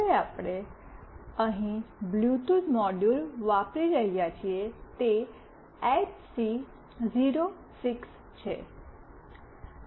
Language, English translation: Gujarati, Now, the Bluetooth module that we are using here is HC 06